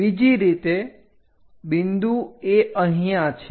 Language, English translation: Gujarati, The other way is the point is here